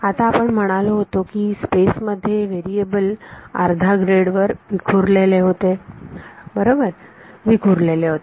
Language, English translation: Marathi, Now we said that in space the variables was staggered by half a grid right, staggered by